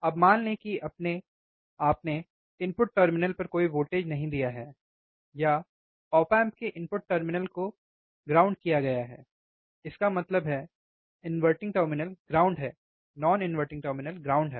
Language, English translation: Hindi, Now, assume that you have given no voltage at input terminal, or input terminal op amps are are grounded; that means, is inverting terminal is ground non inverting terminal is ground